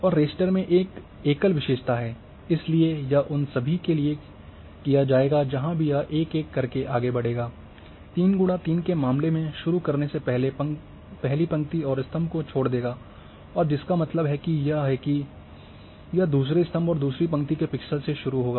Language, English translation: Hindi, And in the raster one single attributes is there so this will be done for all those wherever this will move one by one, from starting leaving in case of 3 by 3 will leave the first row and first column and then that means it will start from the pixels of a second column and second row